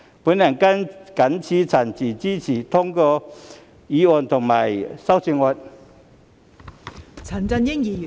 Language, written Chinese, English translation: Cantonese, 我謹此陳辭，支持通過議案及修正案。, With these remarks I support the passage of the motion and the amendment